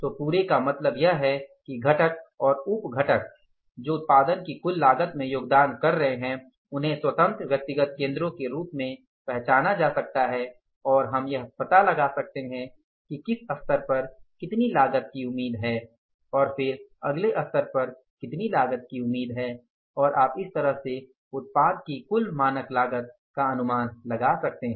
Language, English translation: Hindi, So whole means this components and sub components which are contributing to the total cost of the production they can be identified as independent individual cost centers and we can find out at what level what cost is expected and then at next level what cost is expected